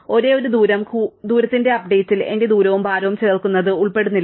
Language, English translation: Malayalam, The only thing is the update of the distance does not involve adding my distance plus the weight